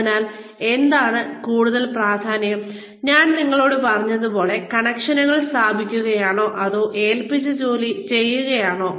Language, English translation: Malayalam, So, what is more important, like I just told you, is it to establish connections, or is it to, do the work that has been assigned